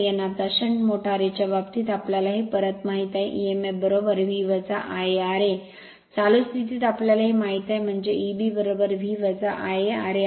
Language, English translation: Marathi, Now in the case of a shunt motor we know this back emf is equal to V minus I a r a right, under running condition we know that, so it is E b is equal to V minus I a r a